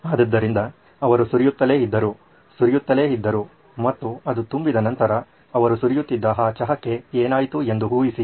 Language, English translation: Kannada, So he kept pouring in, kept pouring in, and guess what happened to that tea that he was pouring after it was full